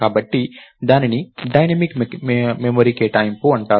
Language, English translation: Telugu, So, that is called dynamic memory allocation